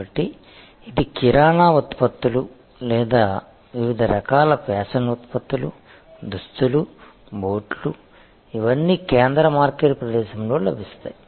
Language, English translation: Telugu, So, whether it are grocery products or various kinds of fashion products, apparels, shoes all these will be available in a central market place